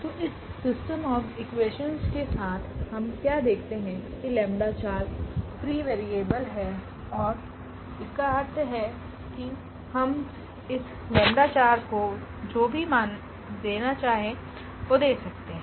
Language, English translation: Hindi, So, with these system of equations what we observe that lambda 4 is free variable; is free variable and meaning that we can assign whatever value we want to this lambda 4